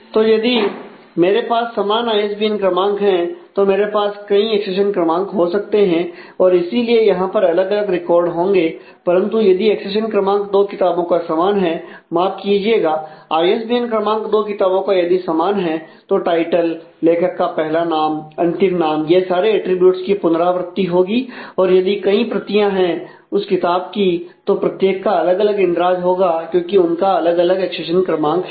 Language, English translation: Hindi, So, if I have the same ISBN number I can multiple accession numbers and therefore, there are different records, but if that accession number of two books are I am sorry the ISBN number of two books are same then all of that title, author and first name last name all this attributes will be repeated and if there are multiple copies of the book then each one of them will have a separate entry because they have a separate accession number